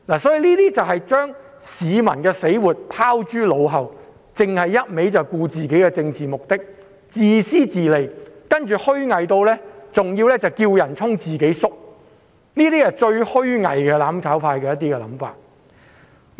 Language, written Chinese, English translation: Cantonese, 他們把市民的死活拋諸腦後，只顧自己的政治目的，自私自利，更要"叫人衝，自己縮"，上述都是"攬炒派"最虛偽的想法。, They have completely forgotten about the life - and - death matters of the public but only cared about their political aims . They are selfish and self - interested . They have even urged others to charge forward but flinched from doing so themselves